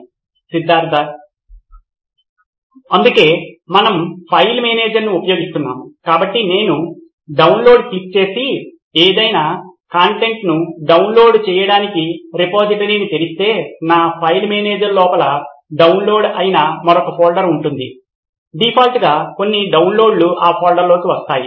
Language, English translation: Telugu, So that is why we are using a file manager, so I, if I click on download and open the repository to download any content I will have another folder inside my file manager which is downloads, all the downloads by default will go into that folder